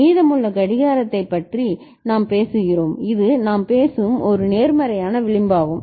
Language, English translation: Tamil, And we are talking about the clock remaining, this is a positive edge triggering we are talking about